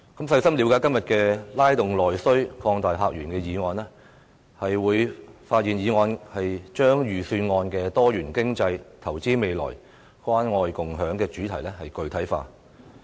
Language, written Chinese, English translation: Cantonese, 細心了解"拉動內需擴大客源"的議案，便會發現議案把財政預算案"多元經濟、投資未來、關愛共享"的主題具體化。, Having carefully comprehended the motion on Stimulating internal demand and opening up new visitor sources one would realize that the motion has fleshed out the Budget themes of diversified economy investing for the future and caring and sharing